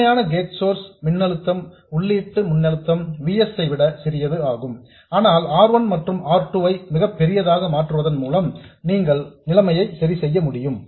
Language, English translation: Tamil, The actual gate source voltage applied is smaller than the input voltage VS, but you can fix this situation by making R1 and R2 very large